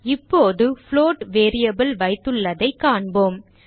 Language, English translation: Tamil, Let us see what the float variable now contains